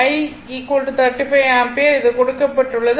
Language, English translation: Tamil, I is equal to 35 ampere is given